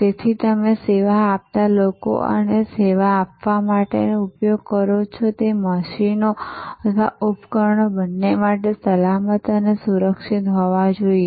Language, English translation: Gujarati, So, for both the people you serve and the machines or systems that you use to serve must be safe and secure